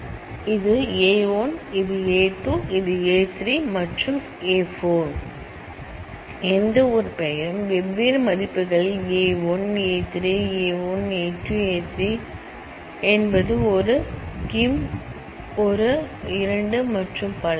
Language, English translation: Tamil, So, this is A 1, this is A 2, this is A 3, this is A 4 and any one i name is at the different values a 2 a 3 a 1 a 2 a 3 a 4 98345 is a 1 Kim is a 2 and so on